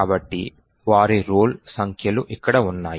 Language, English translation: Telugu, So, their roll numbers are present here